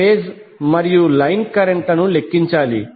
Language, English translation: Telugu, We need to calculate the phase and line currents